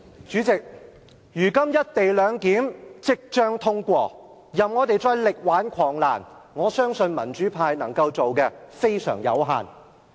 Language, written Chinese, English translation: Cantonese, 主席，如今"一地兩檢"即將通過，即使我們想力挽狂瀾，民主派能夠做的非常有限。, President the passage of the co - location arrangement is now imminent . There is little that the pan - democrats can achieve despite their wish to make a last - minute turnaround